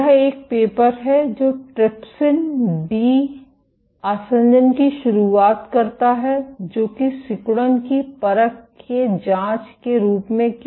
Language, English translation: Hindi, This is a paper introducing trypsin de adhesion as an assay for probing contractility